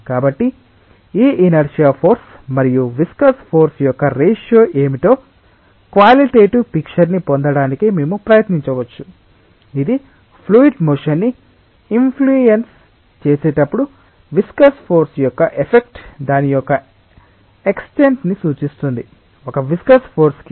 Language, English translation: Telugu, So, we may try to get a qualitative picture of what is the ratio of this inertia force and viscous force, which will give us an indication of the extent of the effect of viscous force in terms of influencing the fluid motion when it is subjected to an inertia force